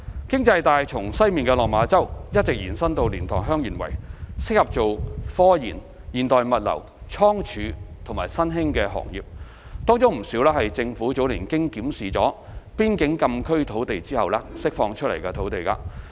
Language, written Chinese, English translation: Cantonese, 經濟帶從西面的落馬洲一直延伸至蓮塘/香園圍，適合作科研、現代物流、倉儲及新興行業，當中不少是政府早年經檢視邊境禁區土地後釋放出來的土地。, The proposed economic belt extends from Lok Ma Chau in the west to LiantangHeung Yuen Wai and is suitable for research and development modern logistics warehousing and other emerging industries . A considerable portion of the land within the belt is those released from the frontier closed area FCA after the Governments review in earlier years